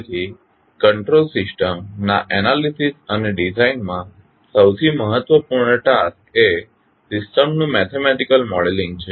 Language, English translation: Gujarati, So, one of the most important task in the analysis and design of the control system is the mathematical modeling of the system